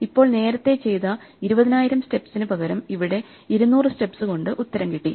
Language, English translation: Malayalam, So instead of 20000 steps, I have done it in 200 steps